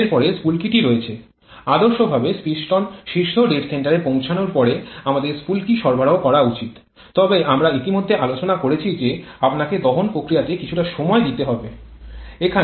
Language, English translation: Bengali, Next is the spark, ideally, we should provide spark once the piston reaches the top dead centre, but as we have already discussed you have to provide some time to the combustion process